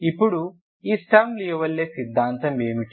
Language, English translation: Telugu, Then what is this Sturm Liouville theory